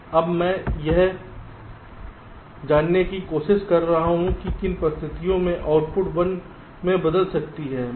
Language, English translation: Hindi, now i am trying to find out under what conditions can the output value change to one